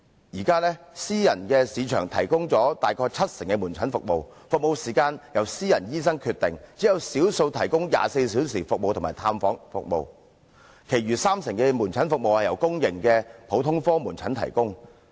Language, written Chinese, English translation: Cantonese, 現在私人市場提供大約七成的門診服務，服務時間由私人醫生決定，只有少數提供24小時服務及探訪服務。其餘三成的門診服務由公營普通科門診提供。, At present about 70 % of outpatient services are provided by private market with the service period decided by private doctors and only a small number of them provide round - the - clock services and visitation services while the remaining 30 % of outpatient services are provided by public general outpatient clinics